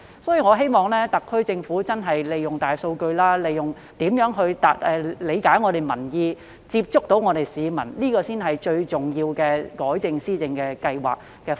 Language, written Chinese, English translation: Cantonese, 所以，我希望特區政府研究如何利用大數據理解民意，接觸市民，這才是最重要的改正施政方案。, Therefore I hope the SAR Government can study the application of big data for understanding peoples views and reaching out to the public . This is rather the most important proposal for rectifying its policy implementation